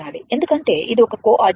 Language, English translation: Telugu, Because this is one coordinate